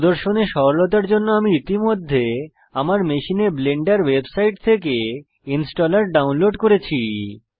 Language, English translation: Bengali, For ease of demonstration, I have already downloaded the installer from the Blender website onto my machine